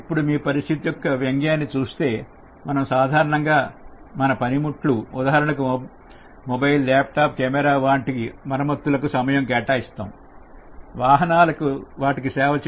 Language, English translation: Telugu, Now, if you look at the irony of the situation, we usually repair our gadgets, whether it is mobile or laptop or a camera and we can spend so much time on that